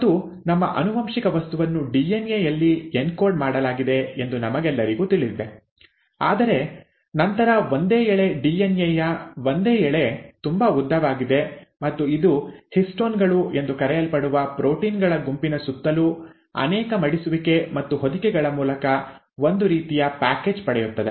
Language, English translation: Kannada, And we all know that our genetic material is encoded in DNA, but then a single strand, a single stretch DNA is way too long and it kind of gets package through multiple folding and wrappings around a set of proteins called as histones